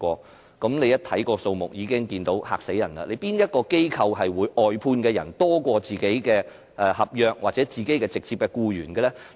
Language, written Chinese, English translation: Cantonese, 大家看到這個數目已感驚人，有哪個機構的外判員工會較本身的合約僱員或直接僱員多呢？, People are shocked just by the numbers . Which organization has more outsourced staff than contract staff or its own staff hired direct?